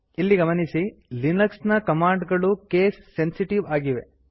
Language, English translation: Kannada, However note that linux commands are case sensitive